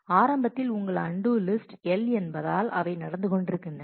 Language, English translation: Tamil, Initially your undo list is L because they were going on